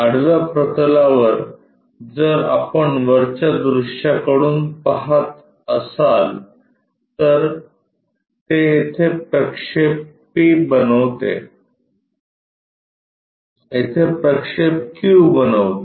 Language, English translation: Marathi, On the horizontal plane, if we are looking from top view it makes projection p here and projection q here